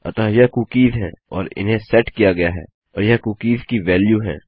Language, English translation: Hindi, So these are cookies and they have been set and these are the values of the cookies